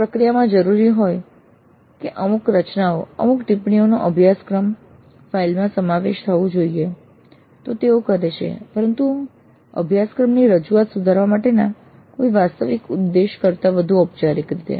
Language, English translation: Gujarati, If the process demands that certain constructions, certain comments be included in the course file, they might do it but again in a more formal way rather than with any real intent at improving the course delivery